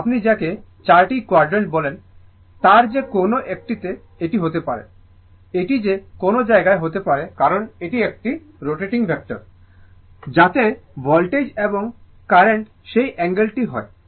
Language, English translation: Bengali, So, it may be in either all the your what you call all the four quadrant, it may be anywhere right, because it is a rotating vector, so that angle of the voltage and current